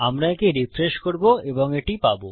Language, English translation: Bengali, Well refresh this and there you go